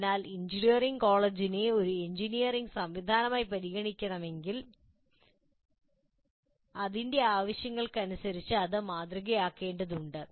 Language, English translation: Malayalam, So if you want, one can consider engineering college as an engineering system and model it accordingly